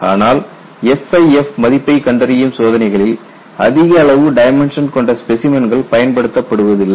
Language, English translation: Tamil, But in experiments to determine SIF, specimen with large lateral dimensions is not employed